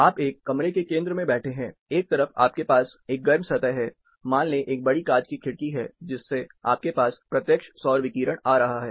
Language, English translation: Hindi, One side, you have a hot surface, say glass large glassed window, where you have direct solar radiation